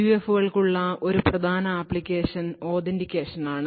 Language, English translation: Malayalam, A major application for PUFs is for authentication